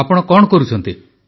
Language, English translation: Odia, And what do you do